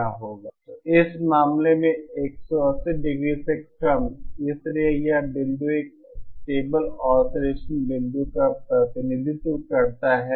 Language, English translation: Hindi, So in this case the angle is lesser than 180¡, therefore this point represents a stable oscillation point